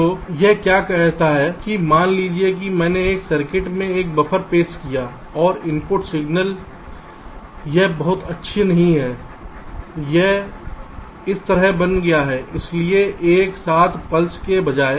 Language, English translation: Hindi, so what this says is that suppose i have introduced a buffer in a circuit and the input signal it is not very good, it has become like this